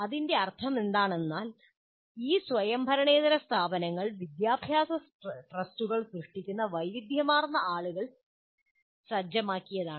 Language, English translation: Malayalam, What it means is these non autonomous institutions are set by a large variety of people who create educational trusts